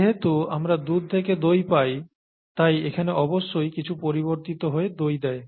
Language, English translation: Bengali, Since we are getting curd from milk, something here must be undergoing some changes to provide curd